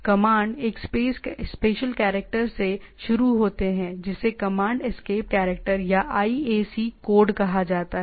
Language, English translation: Hindi, Commands starts with a special character called interpret command escape character or IAC code